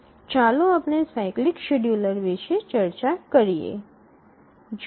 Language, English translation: Gujarati, So, let's look at the cyclic scheduler